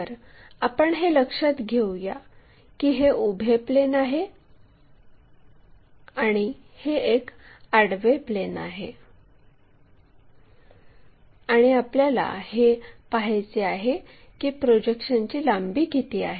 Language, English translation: Marathi, So, the projection length, so, let us note it down this is vertical plane, this is horizontal plane and what we are interested is the projected lengths how much they are